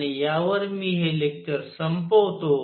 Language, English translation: Marathi, And with this I conclude this lecture